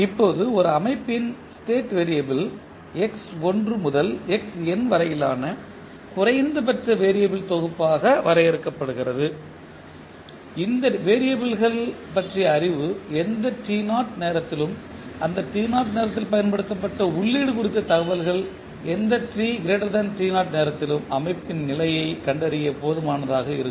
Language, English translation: Tamil, Now, state variable of a system are defined as a minimal set of variable that is x1 to xn in such a way that the knowledge of these variable at any time say t naught and information on the applied input at that time t naught are sufficient to determine the state of the system at any time t greater than 0